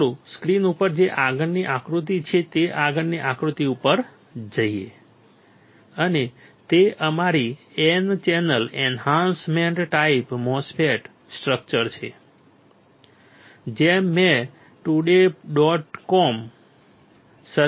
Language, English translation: Gujarati, Let us go to the next figure next figure which we have on the screen, and that is our N channel enhancement type MOSFET structure this I have taken from circuits today dot com